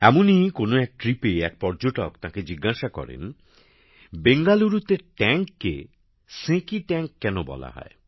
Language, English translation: Bengali, On one such trip, a tourist asked him why the tank in Bangalore is called Senki Tank